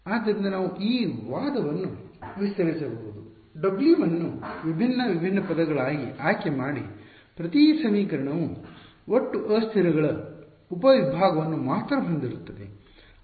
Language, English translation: Kannada, So, we can you can sort of extend this argument choose W m to be different different terms, you will get each equation will have only a subset of the total number of variables